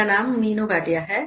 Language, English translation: Hindi, My name is Meenu Bhatia